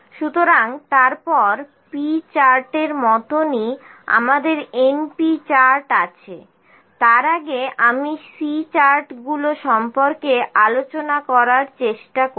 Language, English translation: Bengali, So, next similar to p charts we have np charts before that I will try to cover the C charts